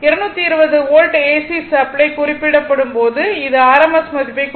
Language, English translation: Tamil, When an AC supply of 220 volt is referred, it is meant the rms value right